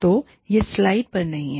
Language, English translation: Hindi, So, it is not on the slide